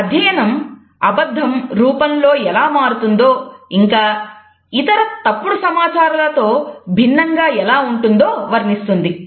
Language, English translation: Telugu, His study describes how lies vary in form and can differ from other types of misinformation